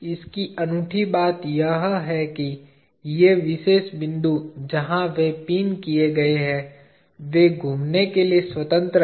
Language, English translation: Hindi, What is unique about this is, these particular points where they are pined they are free to rotate